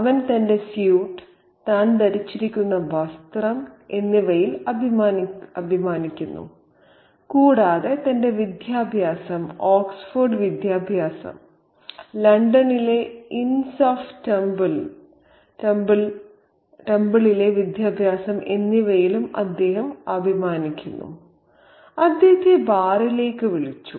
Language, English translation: Malayalam, He is proud of his suit, the outfit that he is wearing, and he is also very proud of his education, his Oxford education and his education at the inns of Temple in London